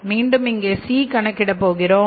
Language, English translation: Tamil, So we have to calculate the C here again